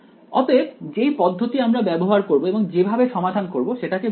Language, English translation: Bengali, So, that is the strategy that we will use and when we solve it like that its called the